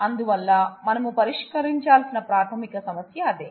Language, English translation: Telugu, So, that is the basic problem that we would like to address